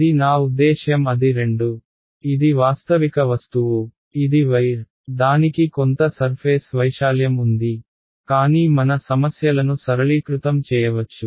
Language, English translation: Telugu, It is a I mean it is a two it is a realistic object, it is a wire, it has some surface area, but we can simplify our problem